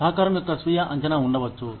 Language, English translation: Telugu, There could be self assessment of contribution